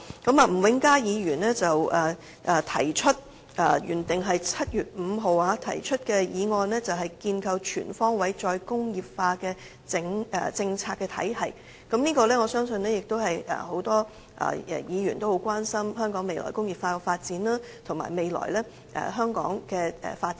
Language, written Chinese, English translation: Cantonese, 例如，吳永嘉議員提出原訂於7月5日會議上討論的"構建全方位'再工業化'政策體系"議案，我相信很多議員也關心香港未來在"再工業化"方面的發展，以及香港未來的發展。, For example Mr Jimmy NG originally moved the motion Establishing a comprehensive re - industrialization policy regime at the meeting on 5 July and I believe a lot of Members are concerned about the development of re - industrialization in Hong Kong as well as the future development of Hong Kong